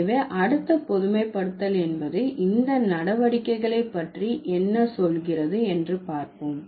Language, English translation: Tamil, So, let's see what does the next generalization say about these operations